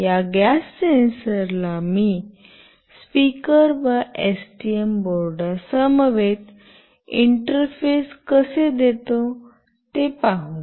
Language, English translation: Marathi, Let us see how do I interface this gas sensor along with the speaker and with a STM board